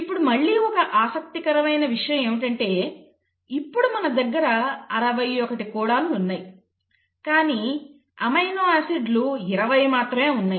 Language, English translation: Telugu, Now that is, again brings one interesting point; you have 61 codons, but you have only 20 amino acids